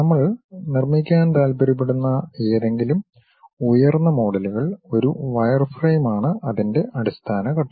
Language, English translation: Malayalam, Any higher order models we would like to construct, wireframe is the basic step